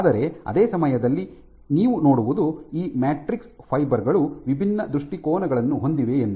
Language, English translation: Kannada, But at the same time what you also have is these matrix fibers have different orientations